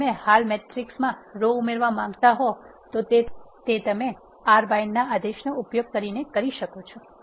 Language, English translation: Gujarati, If you want to add a row to the existing matrix you can do so by using R bind command